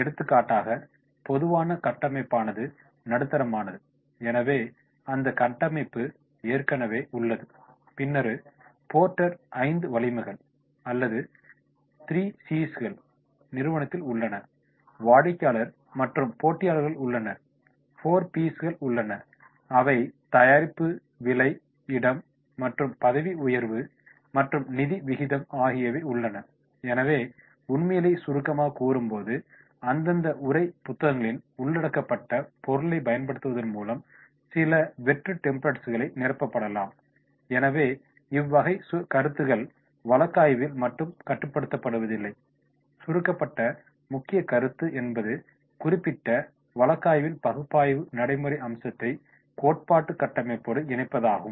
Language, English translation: Tamil, For example, common framework are the steep then the steep is there, so that framework is already there then the porter’s 5 forces are there or the 3 Cs are there company, customer and competition are there, 4Ps are there that is product, price, place and promotion and the financial ratio are there, so while summarising the facts then some blank templates can be filled by using the material covered in the respective text books so it is not restricted to only of the case and here is the point, point is to connect the particular case analysis practical aspect with the theoretical the framework